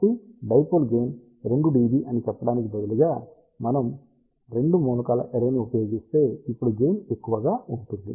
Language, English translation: Telugu, So, instead of let us say gain of 2 dB for a dipole, we will now have a larger gain if we use 2 element array